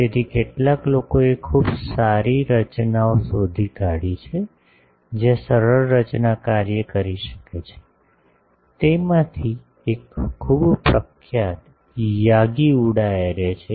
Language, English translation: Gujarati, So, some of the people have found out some of the very good designs, where the simple structure can work, one of that is a very famous Yagi Uda array